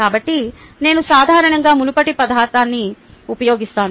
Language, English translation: Telugu, so i typically use the previous material many years ago